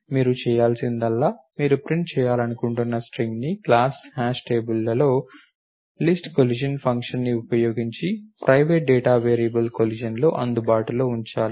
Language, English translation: Telugu, What you have to do is the string that you want to print has to be made available in the private data variable collision using list collision function in the class hash table